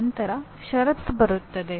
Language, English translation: Kannada, Then come the condition